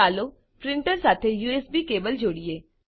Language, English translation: Gujarati, Lets connect the USB cable to the printer